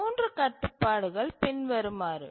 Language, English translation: Tamil, So these are the three constraints